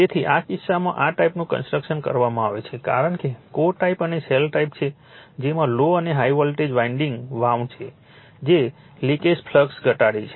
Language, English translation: Gujarati, So, in this case this kind of construction is made because it is core type and shell type the low and high voltage windings are wound as shown in reduce the leakage flux, right